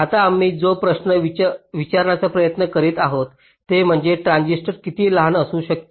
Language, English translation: Marathi, now the question that we are trying to ask is that: well, how small can transistors b